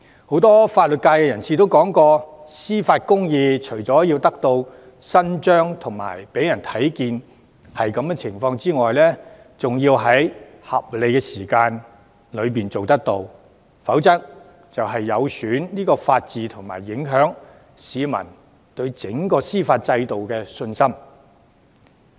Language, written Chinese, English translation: Cantonese, 很多法律界人士說過，司法公義除了要得到伸張和讓人看到得到伸張外，還需要在合理時間內處理，否則會有損法治和影響市民對整個司法制度的信心。, Many legal professionals have stated that not only must justice be done; it must also be seen to be done and that justice delayed is justice denied . Otherwise the rule of law will be undermined and public confidence in the judicial system will be affected